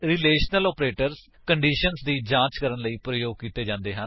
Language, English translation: Punjabi, Relational operators are used to check for conditions